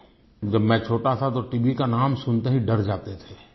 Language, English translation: Hindi, When I was a child we would be scared by the very mention of the word TB